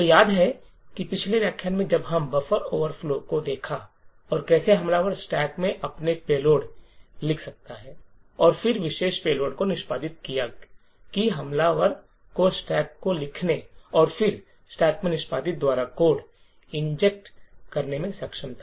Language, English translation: Hindi, So, recollect that in the previous lecture when we looked at the buffer overflow and how the attacker wrote his payload in the stack and then executed that particular payload is that the attacker was able to inject code by writing to the stack and then execute in the stack